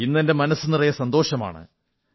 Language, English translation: Malayalam, My heart is filled to the brim with joy today